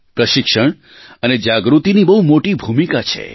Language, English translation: Gujarati, Training and awareness have a very important role to play